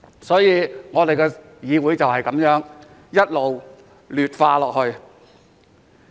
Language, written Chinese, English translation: Cantonese, 所以，本議會便是這樣一直劣化。, Therefore this was how this Council had been deteriorating